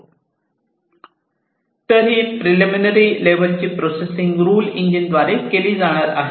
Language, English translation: Marathi, So, this preliminary level processing is going to be done by the rule engine